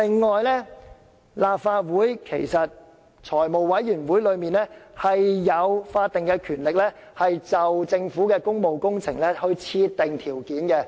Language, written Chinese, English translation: Cantonese, 此外，立法會財務委員會其實享有法定權力，就政府的工務工程設定條件。, Besides the Finance Committee of the Legislative Council indeed has the statutory power to impose additional conditions on the Governments public works projects